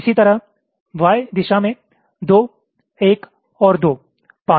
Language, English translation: Hindi, similarly, in the y direction, two, one and two, five